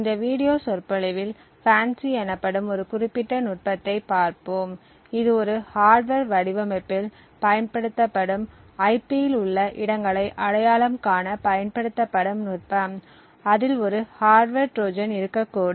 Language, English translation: Tamil, In this video lecture we will be looking at a particular technique known as FANCI, which is a technique used to identify locations within IP used in a hardware design which could potentially have a hardware Trojan present in it